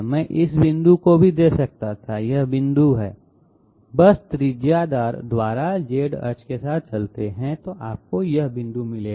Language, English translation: Hindi, I could have given this point also, this point is just move along the Z axis by radius, you will get this point